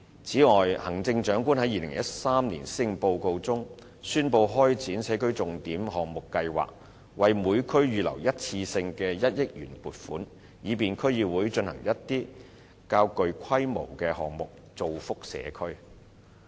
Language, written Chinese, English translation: Cantonese, 此外，行政長官在2013年施政報告中，宣布開展社區重點項目計劃，為每區預留一次性的1億元撥款，以便區議會進行一些較具規模的項目，造福社區。, Moreover the Chief Executive announced in his 2013 Policy Address the implementation of the Signature Project Scheme . A one - off allocation of 100 million has been earmarked for each district so that DCs may implement some projects of a larger scale for the benefit of the communities